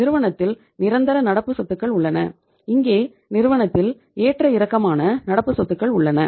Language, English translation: Tamil, We have the permanent current assets in the firm and here we have the fluctuating current assets in the firm